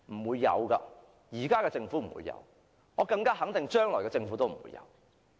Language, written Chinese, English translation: Cantonese, 現在的政府不會有，我可以肯定將來的政府也不會有。, The incumbent Government does not have this capability; I am sure the future Government will not have the capability as well